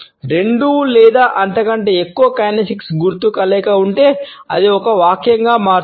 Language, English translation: Telugu, If there is a combination of two or more kinesics signals it becomes a sentence